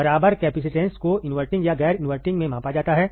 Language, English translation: Hindi, The equivalent capacitance measured at either inverting or non inverting